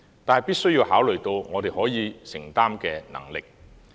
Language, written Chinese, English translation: Cantonese, 但是，必須考慮我們的承擔能力。, However we must keep the affordability in mind